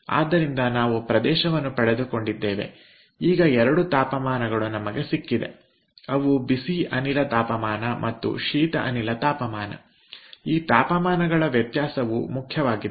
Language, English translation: Kannada, then we have got these two temperature, the hot gas temperature and cold gas temperature, the temperature difference